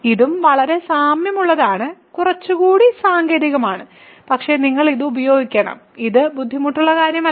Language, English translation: Malayalam, So, this is also very similar and we slightly more technical, but you have to get used to this, it is not difficult